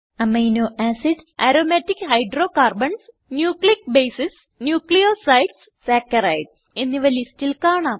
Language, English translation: Malayalam, List contains Amino acids, Aromatic hydrocarbons, Nucleic bases, Nucleosides and Saccharides